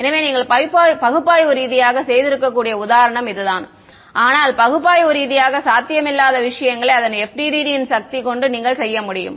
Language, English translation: Tamil, So, this is the example which you could have done analytically also right, but the power of the FDTD is that you can do things which are analytically not possible